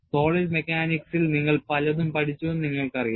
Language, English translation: Malayalam, And you know, you have learned in solid mechanics, many things